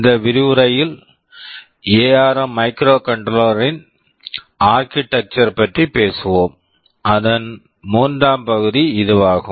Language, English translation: Tamil, In this lecture we shall be talking about the Architecture of ARM Microcontroller, the third part of it